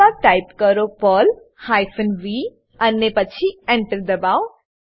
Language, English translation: Gujarati, Then, type perl hyphen v and then press ENTER